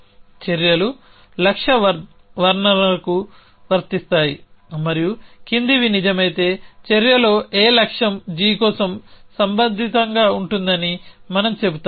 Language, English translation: Telugu, Actions are applicable to goal descriptions and we say that in action A is relevant for goal g if the following is true let me write